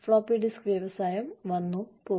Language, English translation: Malayalam, Floppy disk industry, come and go